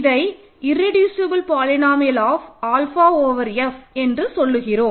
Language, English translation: Tamil, So, it is called the irreducible polynomial of alpha over F ok